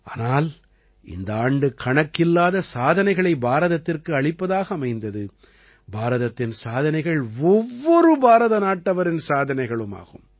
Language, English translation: Tamil, But it is also true that this year has been a year of immense achievements for India, and India's achievements are the achievements of every Indian